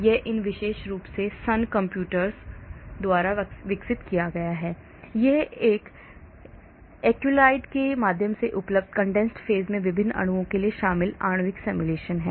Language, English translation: Hindi, this is developed by these particular Sun computers at molecular simulation incorporated for a variety of molecules in the condensed phase now available through Accelrys